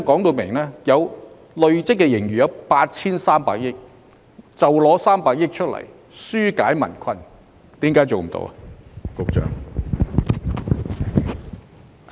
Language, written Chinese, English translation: Cantonese, 局長答謂累積盈餘有 8,300 億元，那麼大可動用300億元紓減民困，為何這也做不到呢？, When the Secretary stated that the accumulated surplus amounted to 830 billion why is it not possible for the Government to deploy 30 billion of that to relieve peoples burden?